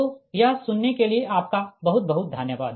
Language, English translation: Hindi, so thank you very much for listening this